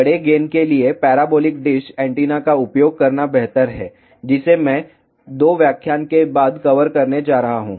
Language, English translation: Hindi, For larger gain it is better to use parabolic dish antenna, which I am going to cover after 2 lectures